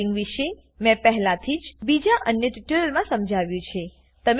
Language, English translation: Gujarati, I have already explained about dubbing in another tutorial